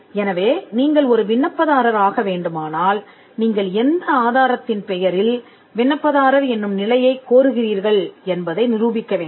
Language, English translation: Tamil, If you need to be an applicant, you need to demonstrate by what proof you are claiming the status of an applicant